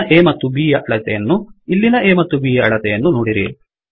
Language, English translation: Kannada, Look at the size of A and B here and the size of A by B